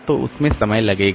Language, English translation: Hindi, So that will take time